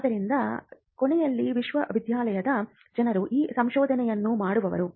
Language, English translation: Kannada, So, at the end of the day it is the people in the university who are going to do this research